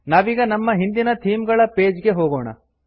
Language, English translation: Kannada, Lets go back to our Themes page